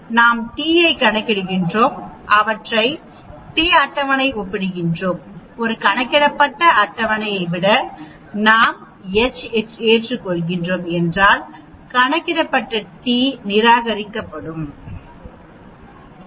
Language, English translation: Tamil, We calculate the t and them we compare table t, if the t calculated is less than the table t we accept h naught, the t calculated is greater than the table t we reject the H0